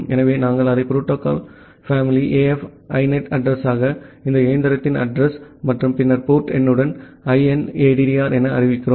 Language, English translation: Tamil, So, we declare it as the protocol family as AF INET the address as inaddr any with a address of this machine and then the port number